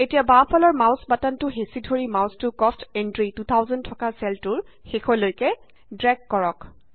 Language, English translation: Assamese, Now holding down the left mouse button, drag the mouse till the end of the cell which contains the cost entry, 2000